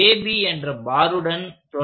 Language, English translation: Tamil, So, we will start with the bar AB